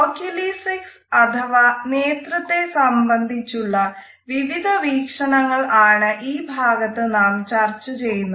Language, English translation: Malayalam, In this module, we will discuss Oculesics or different aspects related with the language of eyes